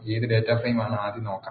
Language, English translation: Malayalam, Let us first look at what data frame is